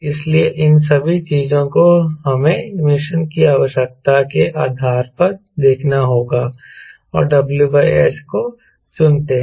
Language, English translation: Hindi, so all this things we have to see depending upon mission requirement and select the w by s